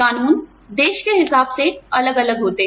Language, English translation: Hindi, The laws, vary by country